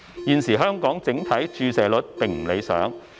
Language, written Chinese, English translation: Cantonese, 現時香港整體注射率並不理想。, The current vaccination rate in Hong Kong is not satisfactory